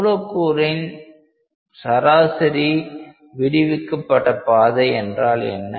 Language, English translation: Tamil, So, that is the molecular mean free path